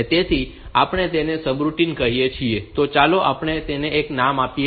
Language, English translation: Gujarati, So, we call it this this subroutine, let us give it a name